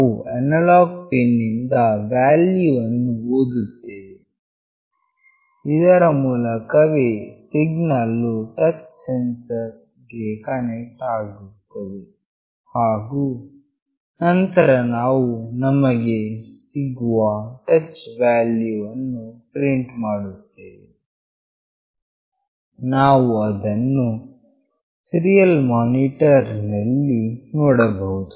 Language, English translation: Kannada, We will read the value from the analog pin through which that signal is connected to the touch sensor, and then we are printing the touch value we are getting, you can see that in the serial monitor